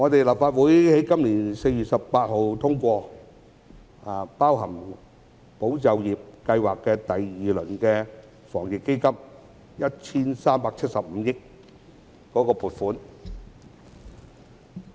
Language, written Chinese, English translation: Cantonese, 立法會在今年4月18日通過包含"保就業"計劃的第二輪防疫抗疫基金，涉及 1,375 億元的撥款。, On 18 April this year the Legislative Council passed the funding proposal for the second round Anti - epidemic Fund which covers the Employment Support Scheme and amounts to some 137.5 billion